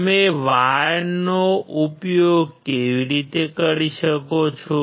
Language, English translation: Gujarati, How you can use wire